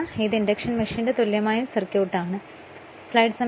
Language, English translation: Malayalam, So, this is the equivalent circuit of the induction machine right